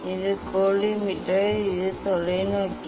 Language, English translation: Tamil, this the collimator, this is the telescope